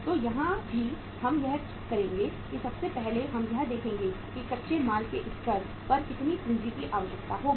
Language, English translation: Hindi, So here also we will do that first of all we will see that at the raw material stage how much capital will be required